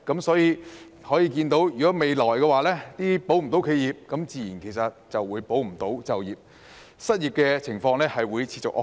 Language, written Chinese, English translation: Cantonese, 所以，未來如果未能"保企業"，自然亦無法"保就業"，失業情況會持續惡化。, Therefore in the future if the enterprises cannot be preserved we will naturally not be able to safeguard employment and unemployment will continue to worsen